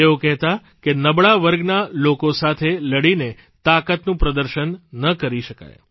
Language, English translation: Gujarati, He used to preach that strength cannot be demonstrated by fighting against the weaker sections